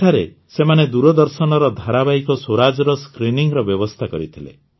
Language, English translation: Odia, There, they had organised the screening of 'Swaraj', the Doordarshan serial